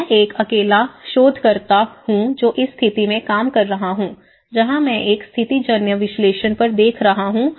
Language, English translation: Hindi, And I am a lonely researcher, working at the situation so that is where, I looked at a situational analysis